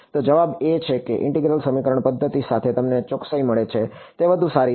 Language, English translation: Gujarati, So, the answer is that the accuracy that you get with integral equation methods is much better